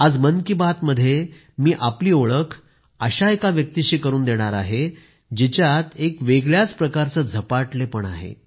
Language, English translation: Marathi, Today in Mann ki baat I will introduce you to a person who has a novel passion